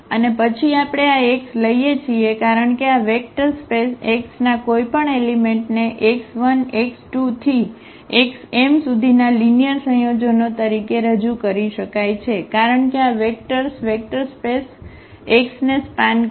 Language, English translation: Gujarati, And then we take this x because any element of this vector space x can be represented as a linear combinations of x 1 x 2 x 3 x m because these vectors span the vector space X